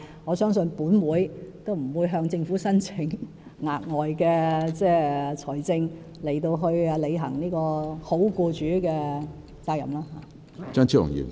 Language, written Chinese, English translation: Cantonese, 我相信行管會亦不會向政府申請額外撥款來履行好僱主的責任。, I believe LCC will not seek additional funding from the Government in discharging its responsibilities as a good employer